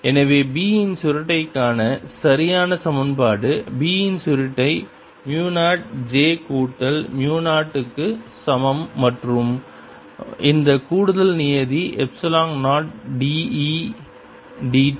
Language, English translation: Tamil, so the correct equation for the curl of b is therefore: curl of b is equal to mu zero, j plus mu zero and this extra term, epsilon zero, d, e d t